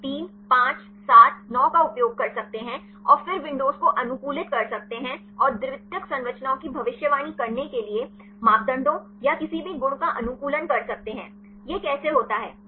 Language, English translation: Hindi, They can use 3, 5, 7, 9 and then optimize the windows and optimize the parameters or any properties to predict the secondary structures; how it does